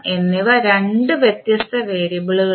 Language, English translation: Malayalam, K and M are two different variables